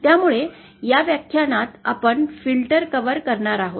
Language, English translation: Marathi, So, in this lecture we will be covering filters